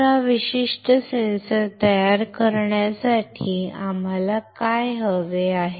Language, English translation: Marathi, So, to fabricate this particular sensor right what we need